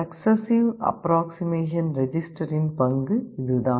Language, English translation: Tamil, This is the role of the successive approximation register